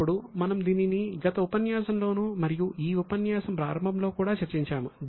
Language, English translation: Telugu, Now, we have discussed it earlier in the last session also and also in the beginning of the session